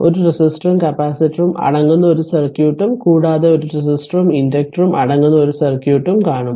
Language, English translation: Malayalam, A circuit you are comprising a resistor and a capacitor and a circuit comprising a resistor and your inductor